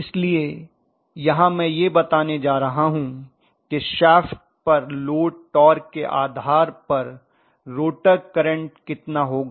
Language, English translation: Hindi, So here I am going to rather specify what is the rotor current depending upon how much is the load torque on the shaft